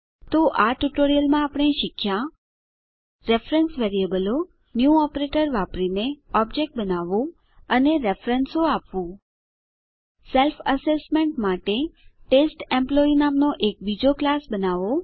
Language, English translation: Gujarati, So in this tutorial we learnt about Reference variables Creating object using new operator And Assigning references For self assessment create another class named TestEmployee